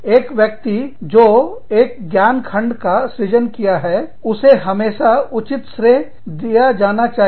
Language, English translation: Hindi, A person, who has created a piece of knowledge, should always be given due credit, for it